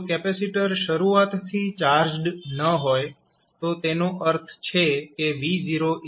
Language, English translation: Gujarati, If capacitor is initially uncharged that means that v naught is 0